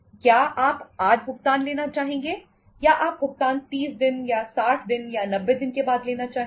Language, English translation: Hindi, Would you like to have the payment today or you would like to have the payment after 30 days or 60 days or 90 days